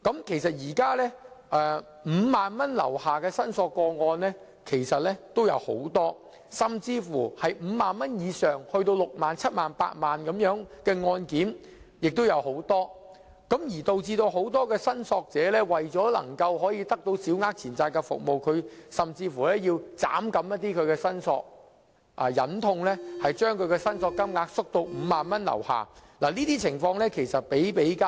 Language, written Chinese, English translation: Cantonese, 現時，有很多個案涉及5萬元或以下的申索個案，而涉及5萬元以上，以至6萬元、7萬元或8萬元的案件也有很多，以致很多申索者為獲得審裁處的服務而削減申索金額，忍痛把申索金額縮減至5萬元以下，這類情況比比皆是。, At present many cases involve a claim amount of 50,000 or below . And cases involving a claim amount of over 50,000 or even 60,000 70,000 and 80,000 are also many . Therefore many claimants reduce their claim amounts somewhat reluctantly to less than 50,000 in order to obtain SCTs services